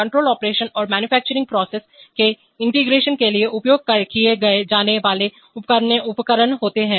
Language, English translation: Hindi, Devices used for control operation and integration of manufacturing processes